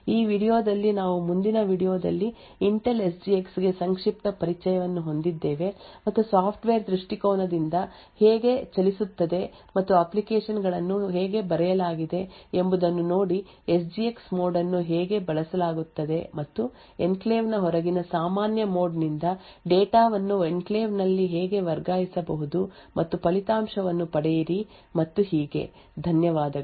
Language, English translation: Kannada, In this video we had a brief introduction to Intel SGX in the next video will look at how a move from a software perspective and see how applications are written how the SGX mode is used and how data can be transferred from a normal mode outside the enclave into the enclave and get the result and so on, thank you